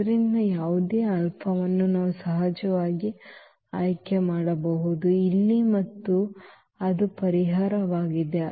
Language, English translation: Kannada, So, any alpha we can we can choose of course, here and that is the solution